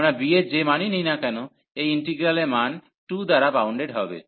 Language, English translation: Bengali, So, whatever values of b we take, the value of this integral will be bounded by 2